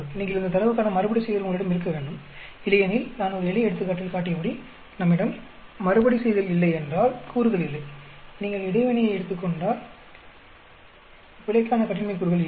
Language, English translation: Tamil, You need to have replication of this data, otherwise as I showed in one simple example, if we do not replicate there are no degree, if you take interaction, then there are no degrees of freedom for error